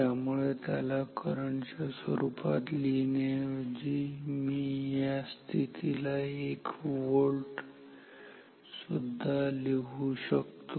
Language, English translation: Marathi, So, instead of writing it as in terms of current, I can also write this position as 1 volt